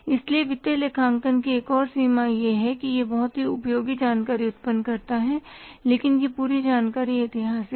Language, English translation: Hindi, So, another limitation of the financial accounting is it generates very useful information but that entire information is historical in nature